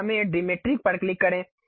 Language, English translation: Hindi, So, let us click Diametric